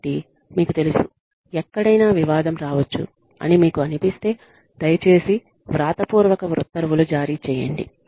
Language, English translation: Telugu, So, you know, wherever you feel, that a controversy can come up, please issue written orders